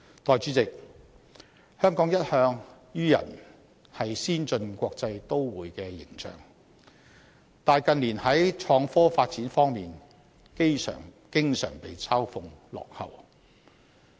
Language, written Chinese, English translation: Cantonese, 代理主席，香港一向予人先進國際都會的形象，但近年創科發展方面經常被嘲諷落後。, Deputy President Hong Kong has all along been regarded as an advanced metropolis but its slow development in innovation and technology has become an object of ridicule in recent years